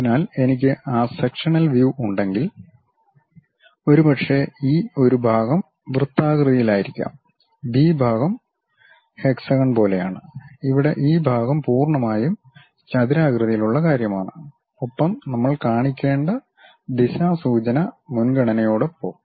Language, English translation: Malayalam, So, if I am having those sectional views, perhaps this A part section might be circular, the B part is something like your hexagon, and here the section is completely square kind of thing, along with the directional preference we have to show